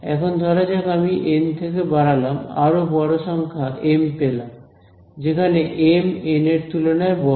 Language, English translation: Bengali, Now let say I increase from N, I go to a larger number M, where M is greater than N